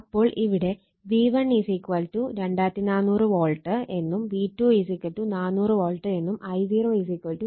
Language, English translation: Malayalam, So, it is given V1 = 2400 volt V2 is given 400 volt I0 is given 0